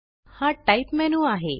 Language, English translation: Marathi, This is the Type menu